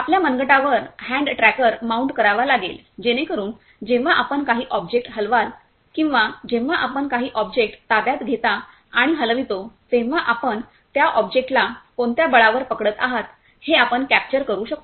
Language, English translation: Marathi, Similarly we are having this hand tracker, so you just had to mount this hand; hand tracker on your wrist so that whenever you will move certain object or whenever you will capture and move certain object you it can capture what with what force you are capturing that object